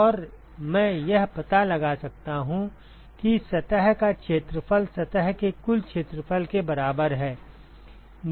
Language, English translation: Hindi, And I can find out what the area of the surface is total area of the surface